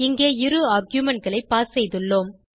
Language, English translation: Tamil, We have passed two arguements here